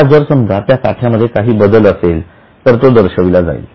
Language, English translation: Marathi, Now, if there is any change in those stocks, that will be shown